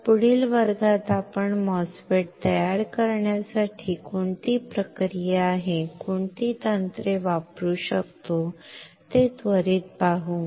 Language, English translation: Marathi, So, in the next class let us quickly see what are the process, what are the techniques that we can use to fabricate the MOSFET